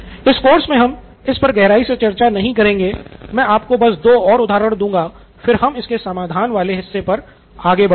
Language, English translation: Hindi, In this course we are not going to go deeper into this I am going to give you two more examples and then we will move on to the solve part of it